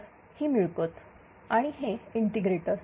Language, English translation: Marathi, So, and then this is the gain and this is the integrator